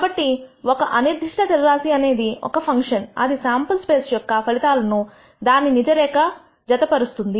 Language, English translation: Telugu, So, a random variable is a function which maps the outcomes of a sample space to a real line